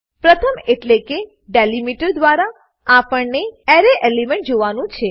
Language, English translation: Gujarati, 1st is the delimiter by which the Array elements needs to be joined